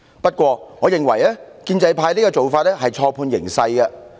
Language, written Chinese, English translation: Cantonese, 然而，我認為建制派此舉是錯判形勢。, Nevertheless I think the pro - establishment camp has misread the situation